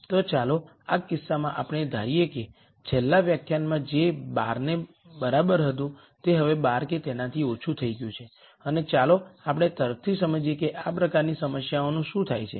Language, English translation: Gujarati, So, in this case let us assume what was equal to 12 in the last lecture has now become less than equal to 12 and let us understand intuitively what happens to problems this of this type